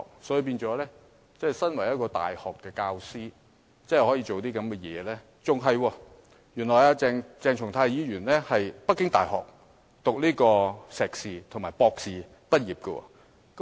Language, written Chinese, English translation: Cantonese, 鄭松泰議員身為大學講師，竟然做出這種行為，更甚的是，原來鄭松泰議員是在北京大學修讀碩士和博士畢業的。, Although Dr CHENG Chung - tai is a university lecturer he went so far as to display such behaviour . Worse still as it turns out Dr CHENG Chung - tai actually studied for his postgraduate and doctorate degrees in Peking University and graduated from it